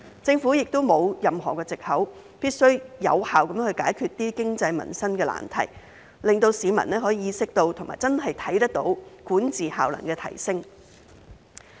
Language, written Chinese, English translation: Cantonese, 政府亦沒有任何藉口，必須有效地解決經濟民生的難題，令市民可以意識到及真的看到管治效能的提升。, There is no excuse for the Government not to effectively solve the problems with the economy and peoples livelihood so that the public can be aware of and can really see the improvement in governance efficiency